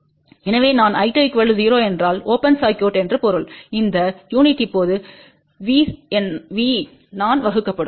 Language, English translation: Tamil, So, I 2 be equal to 0 means open circuit, and this unit will be now I divided by V